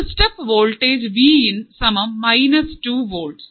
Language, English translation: Malayalam, A step voltage Vin here is minus 2 volts